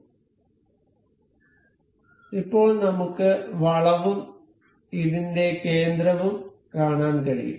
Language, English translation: Malayalam, So, now we can see the curve and the center of this